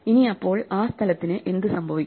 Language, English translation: Malayalam, So what happens to that space